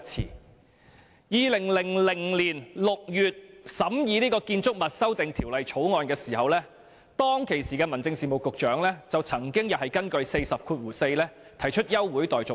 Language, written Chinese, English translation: Cantonese, 在2000年6月審議《2000年建築物條例草案》時，當時的民政事務局局長曾經根據《議事規則》第404條提出休會待續議案。, In June 2000 during the scrutiny of the Buildings Amendment Bill 2000 the then Secretary for Home Affairs moved a motion to adjourn further proceedings under RoP 404